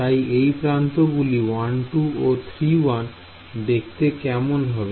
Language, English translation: Bengali, So, we will edge is 1 2 and 3 1 what do you think it looks like